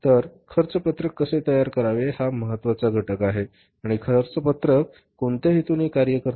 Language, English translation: Marathi, So, how to prepare the cost sheet that is important component and what purpose the cost sheet serves